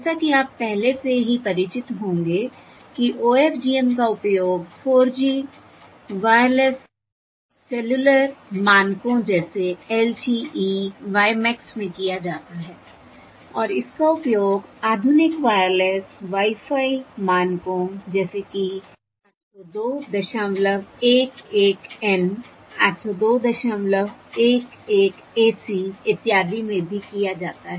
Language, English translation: Hindi, As you might already be familiar, OFDM is used in the four G wireless cellular standards, such as LT, WiMAX, and it is also used in the modern wireless Wi Fi standards such as A, two dot eleven, N, A, two dot eleven, AC, and so on